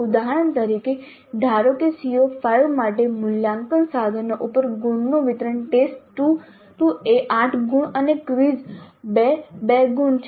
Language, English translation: Gujarati, For example, assume that the distribution of marks over assessment instruments for CO5 is test to 8 marks and quiz 2 marks